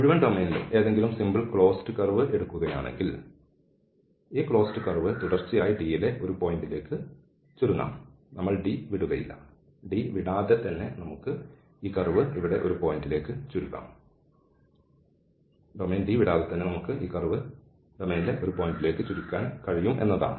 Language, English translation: Malayalam, So, if we take any simple closed curve in the whole domain, then this closed curve can be continuously shrunk to a point without or while remaining in D, we will not leave D and without leaving D we can shrink this curve to a point here and any curve we can take any closed curve we can take, we can shrink this curve to a point without leaving the domain D